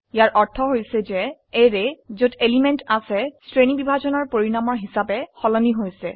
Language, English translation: Assamese, It means that the array which contains the elements is changed as a result of sorting